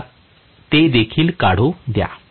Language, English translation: Marathi, Let me draw that as well